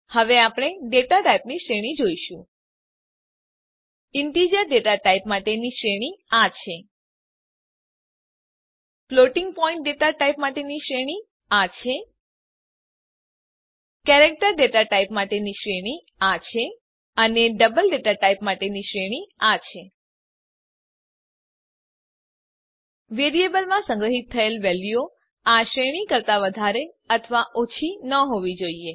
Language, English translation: Gujarati, Now we will see the range of data types Integer data type has a range of this Floating point has a range of this Character has a range of this And Double has a range of this The values stored in the variable must not be greater or less than this range